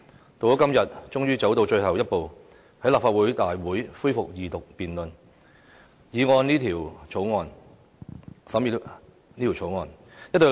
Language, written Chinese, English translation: Cantonese, 到了今天，終於走到最後一步，在立法會大會恢復《條例草案》的二讀辯論。, Today we finally come to the last step to resume the Second Reading of the Bill at a Council meeting